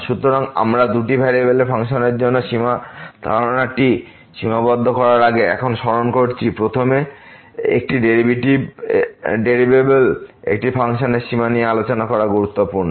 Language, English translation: Bengali, So, we recall now before we introduce the limit the concept of the limit for the functions of two variables, it is important to first discuss the limit of a function of one variable